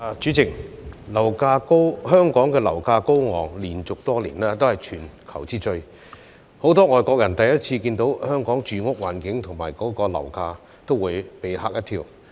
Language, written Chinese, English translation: Cantonese, 主席，香港樓價高昂，連續多年都是全球之最，很多外國人首次看到香港住屋環境和樓價，也會被嚇一跳。, President the high property prices in Hong Kong have topped the world for many years in a row . Many foreigners would be shocked when they first learn of the living environment and property prices in Hong Kong